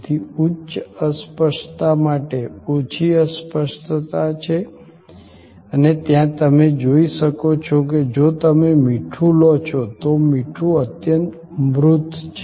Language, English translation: Gujarati, So, there is a low intangibility to high intangibility and there as you can see that, if you take salt, salt is highly tangible